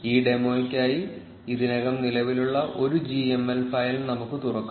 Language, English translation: Malayalam, Let us open an already existing gml file for this demo